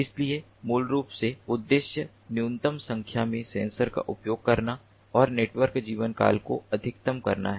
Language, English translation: Hindi, so basically, the objective is to use a minimum number of sensors and maximize the network lifetime